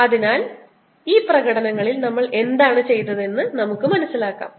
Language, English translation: Malayalam, so let us understand what we have done in these demonstrations